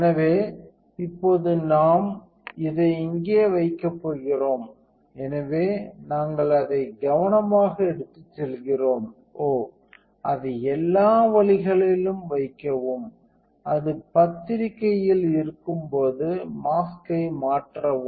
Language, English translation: Tamil, So, now we are going to put this in here, so we carefully carry it; oh, place it all the way in and when it is in the press change a mask